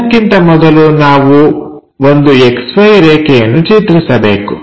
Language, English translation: Kannada, First of all, we have to draw an XY line